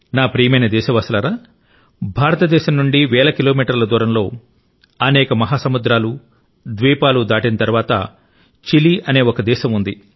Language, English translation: Telugu, thousands of kilometers from India, across many oceans and continents, lies a country Chile